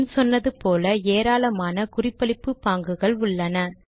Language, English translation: Tamil, As mentioned earlier, there is a large number of referencing styles